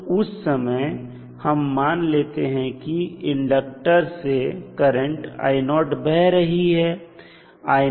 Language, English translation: Hindi, So, this would be the current which would be flowing through the inductor